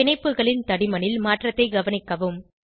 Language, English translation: Tamil, Note the change in the thickness of the bonds